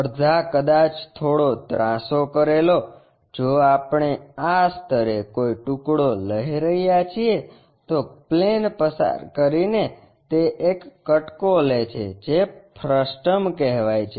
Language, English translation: Gujarati, Half perhaps slightly slanted one, if we are taking a slice at this level passing a plane taking a slice of that it makes a frustum